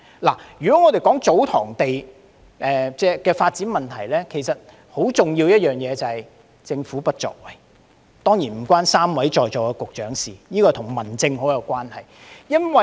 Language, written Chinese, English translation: Cantonese, 關於祖堂地的發展，有一個很重要的問題，就是政府的不作為，這方面當然與3位在席局長無關，而是與民政方面有很大關係。, There is a very important problem with the development of TsoTong lands and that is the inaction of the Government . This certainly has nothing to do with the three Directors of Bureaux present at the meeting as it is more of a matter of home affairs